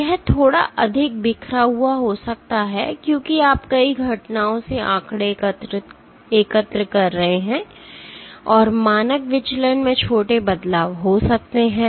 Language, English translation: Hindi, It might have a little bit more scattered because you are collecting the statistics from, many events and there might be small variations in the standard deviation